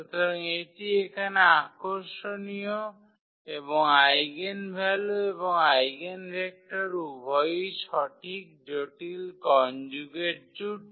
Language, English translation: Bengali, So, that is interesting here and both the eigenvalues and eigenvectors are correct complex conjugate pair